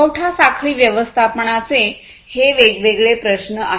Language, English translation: Marathi, So, these are the different supply chain management issues